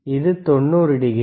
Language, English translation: Tamil, Ist isit 90 degree